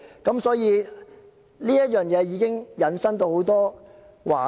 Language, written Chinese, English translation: Cantonese, 因此，這已經引申到很多話題。, This has thus brought us to other topics